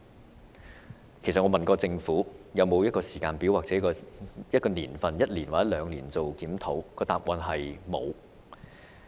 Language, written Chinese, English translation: Cantonese, 我曾經詢問政府是否已有時間表，會否在一年或兩年後進行檢討，但答案是"沒有"。, I thus asked whether there was a timetable for review and whether such a review would be conducted in one or two years time but the Governments replies were in the negative